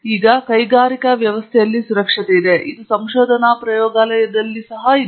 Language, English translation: Kannada, Now, safety is there in industrial setting; it is also there in research lab setting